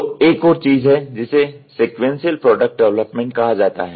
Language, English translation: Hindi, So, there is another thing which is called as a sequential product development